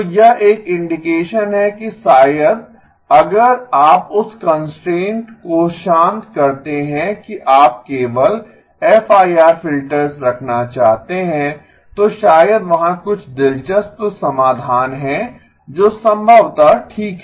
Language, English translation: Hindi, So this is an indication that maybe if you relax that constraint that you want to have only FIR filters maybe there is some interesting solutions that are possible okay